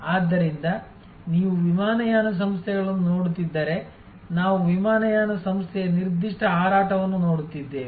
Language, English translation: Kannada, So, if you are looking at airlines we are looking at a particular flight of an airline